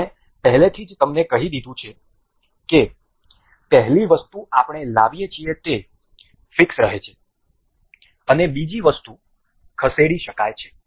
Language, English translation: Gujarati, As I have already told you the first item that we bring in remains fixed and the second item can be moved